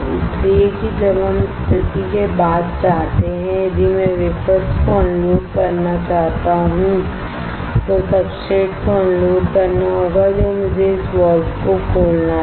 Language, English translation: Hindi, So, that when we want to after the position if I want to unload the wafers unload the substrate I had to open this valve